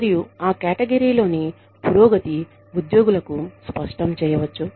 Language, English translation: Telugu, And, the progression, within that category, can be made clear, to the employees